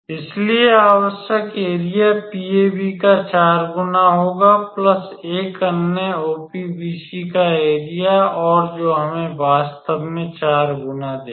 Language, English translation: Hindi, So, the required area would be 4 times area of PAB plus what was that another one was area of OPBC and that will give us actually 4 times